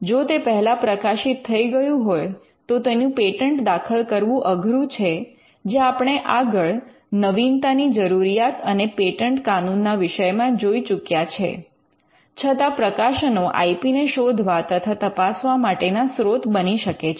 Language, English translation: Gujarati, So, if it is already published then it becomes hard to file a patent and this is something which we covered as a part of the novelty requirement and patent law, but publications are a source for screening or looking at IP